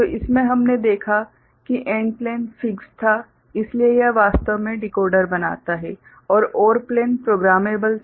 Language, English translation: Hindi, So, in that we had seen that the AND plane was fixed, so it actually forms the decoder and the OR plane was programmable